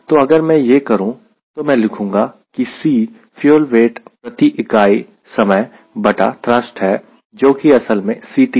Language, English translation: Hindi, so if i do that, then i write: c is weight of fuel per unit time by thrust